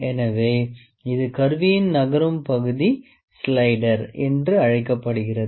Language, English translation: Tamil, So, the moving part of this instrument is known as slider